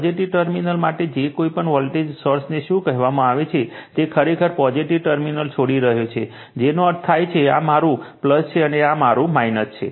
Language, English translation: Gujarati, For positive terminal that your what you call any take any voltage source that current actually living the positive terminal right that means, this is my plus, and then this is my minus